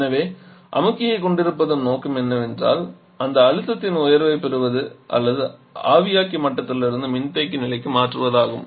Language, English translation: Tamil, So the ultimate aim of having the compressor is to gain this rise in pressure or to change the pressure from evaporator level to the condenser level